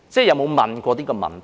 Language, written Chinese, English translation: Cantonese, 有否問過這個問題呢？, Have Members ever asked this question?